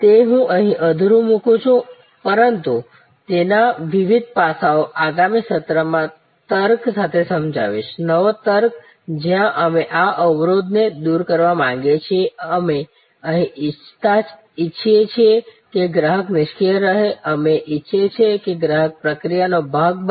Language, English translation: Gujarati, Now, I have a leaved to this number of times and explain different aspects of it and we are going to take up in the next session this logic, the new logic where we want to dissolve this barrier, we do not want the customer to be passive, we want the customer to be part of the process